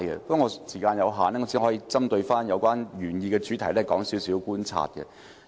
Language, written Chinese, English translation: Cantonese, 不過，時間有限，我只可以針對原議案的主題，指出一些觀察所得。, Due to the time constraint I can only make some observations about the subject of the original motion